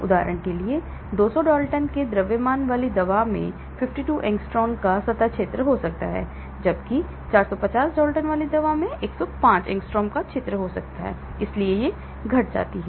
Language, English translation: Hindi, For example, a drug with the mass of 200 Dalton may have a surface area of 52 angstrom, whereas a drug with a 450 Dalton may have area of 105 angstrom, so it decreases